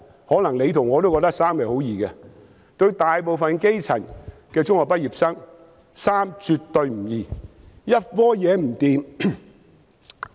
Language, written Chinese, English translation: Cantonese, 可能我與局長都覺得十分容易，但對大部分基層中學畢業生來說，卻絕不容易。, The Secretary and I may consider it a piece of cake but it is by no means easy for most secondary school graduates from the grass roots